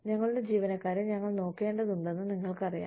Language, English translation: Malayalam, You know, we need to look after our employees